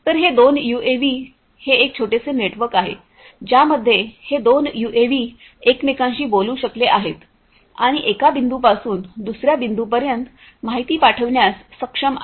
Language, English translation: Marathi, So, these two UAVs, it is a small network these two UAVs are able to talk to each other and are able to pass information from one point to the other